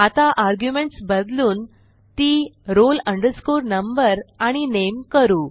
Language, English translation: Marathi, Now, let me change the arguments to roll number and name itself